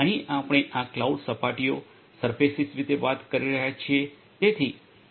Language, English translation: Gujarati, Here we are talking about this cloud surfaces